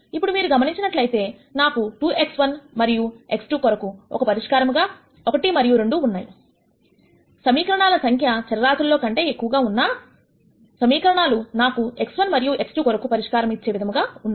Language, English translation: Telugu, Now you notice that if I get a solution 1 and 2 for x 1 and x 2; though the number of equations are more than the variables, the equations are in such a way that I can get a solution for x 1 and x 2 that satis es all the 3 equations